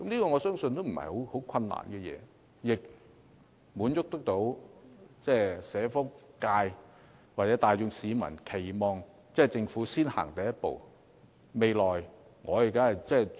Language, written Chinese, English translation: Cantonese, 我相信這並非甚麼難事，亦可以滿足社福界或市民大眾的期望，由政府先踏出第一步。, I believe it will not be a difficult task and it can satisfy the expectations of the welfare sector or the general public marking the first step of the Government